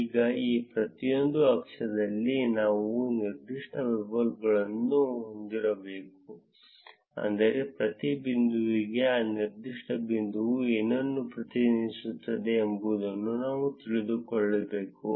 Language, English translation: Kannada, Now in each of these axes, we need that we have particular labels, which is that for each point we need to know that what that particular point represents